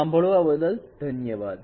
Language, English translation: Gujarati, Thank you for listening